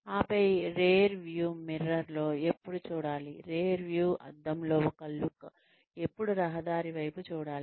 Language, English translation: Telugu, And then, also looking in the rearview mirror, when should, one look in the rearview mirror, when should one look at the road